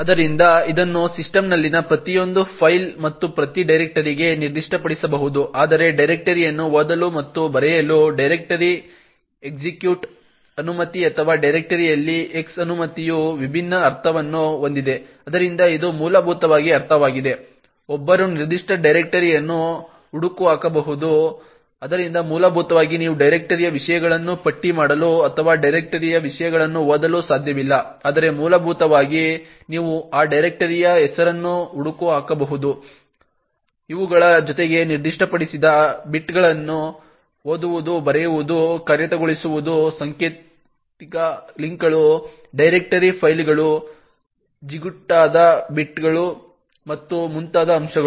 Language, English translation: Kannada, So this can be specified for each file in the system as well as each directory as well, while it makes sense to actually have a read and write a directory execute permission or X permission on the directory has a different meaning, so it essentially means that one could lookup a particular directory, so essentially you cannot list the contents of the directory or read the contents of the directory but essentially you could lookup the name of that directory, in addition to these read, write, execute bits what is specified is other aspects such as symbolic links, directory files, sticky bits and so on